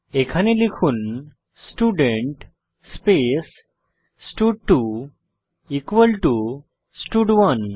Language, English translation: Bengali, Here type Student stud2 equal to stud1